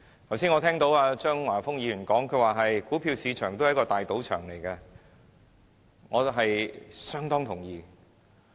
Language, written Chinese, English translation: Cantonese, 剛才，我聽見張華峰議員把股票市場說成是一個大賭場，對此，我相當同意。, Just now I heard Mr Christopher CHEUNG describing the stock market as a big casino . I agree with him very much